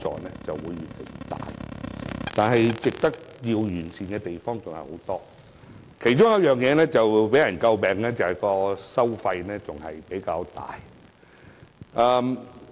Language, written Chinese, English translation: Cantonese, 但是，強積金制度還有很多需要完善的地方，其中為人詬病的就是收費較高。, However there is still much room for improvement in the MPF System . The charging of relatively high fees has been a subject of criticisms